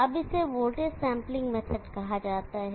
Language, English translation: Hindi, Now this is called the voltage sampling method